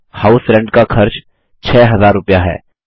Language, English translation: Hindi, Note, that the cost of House Rent is rupees 6,000